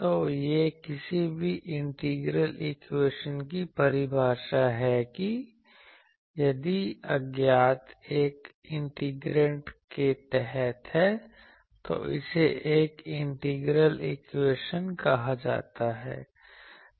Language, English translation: Hindi, So, this is the definition of any integral equation that if the unknown is under in the integrand of an integration, then that is called an integral equation